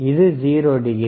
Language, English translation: Tamil, iIs thisit 0 degree